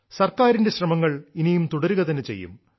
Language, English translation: Malayalam, The efforts of the Government shall also continue in future